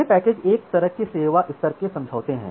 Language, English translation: Hindi, So, these packages are kind of service level agreements